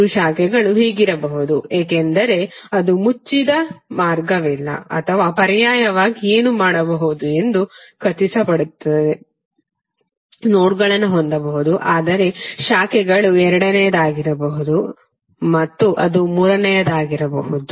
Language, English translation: Kannada, The three branches can be this because it make sure that there is no closed path or alternatively what you can do, you can have the nodes but your branches can be one that is second and it can be third